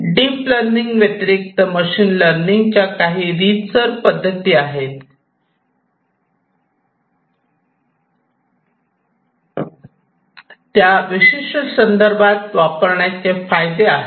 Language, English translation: Marathi, There are other non deep learning, the traditional machine learning schemes, which are also advantageous in certain contexts